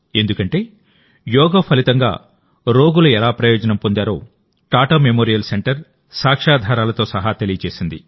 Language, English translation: Telugu, Because, Tata Memorial center has conveyed with evidence how patients have benefited from Yoga